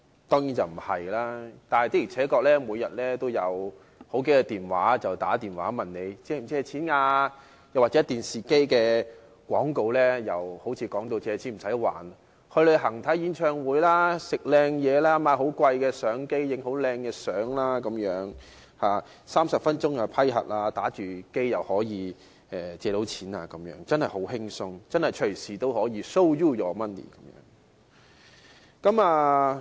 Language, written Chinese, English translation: Cantonese, 但是，的而且確，每天都有數個來電問你是否需要借錢，而電視廣告亦把借錢形容為好像不需要還錢，借錢後可以去旅行、看演唱會、吃美食、購買昂貴的相機等 ，30 分鐘便完成批核，可以一邊玩遊戲機一邊借錢，真的很輕鬆，隨時都可以 "Show you the money"。, However people actually receive several calls every day which ask if they need to get a loan while television advertisements have created an impression that you do not have to repay your loan and after receiving the loan you can travel watch a concert enjoy cuisine buy an expensive camera and so on . It only takes 30 minutes to complete the approval process so you can apply for a loan while playing video games . Applying for a loan is really easy and they can Show you the money anytime